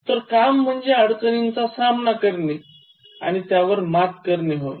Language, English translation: Marathi, So, jobs are meant for facing difficulties and overcoming them